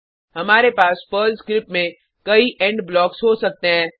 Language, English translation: Hindi, We can have several END blocks inside a Perl script